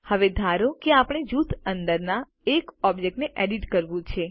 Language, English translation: Gujarati, Now, suppose we want to edit a single object within a group